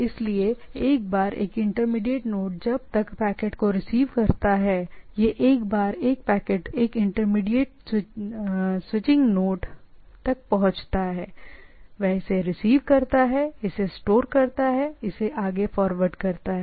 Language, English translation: Hindi, So, once say intermediate node receives a packet, it once a packet reaches a intermediate switching node, it receives it, store it and forward it